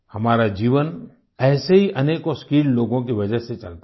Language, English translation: Hindi, Our life goes on because of many such skilled people